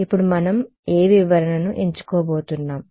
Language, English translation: Telugu, Now which interpretation now we are going to choose